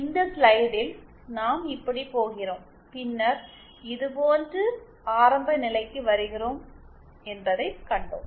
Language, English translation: Tamil, In this slide we saw that we are going like this and then coming like this to the origin